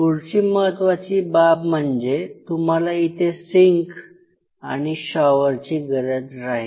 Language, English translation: Marathi, Next important thing is that you have to have a sink along with a shower